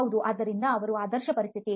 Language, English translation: Kannada, Yeah so that is the ideal situation